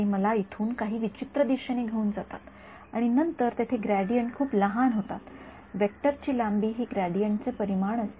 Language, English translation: Marathi, They take me in some weird direction over here and then here the gradients become very small in magnitude the length of the vector is the magnitude of the gradient